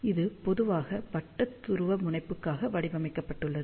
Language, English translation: Tamil, This is generally designed for circular polarization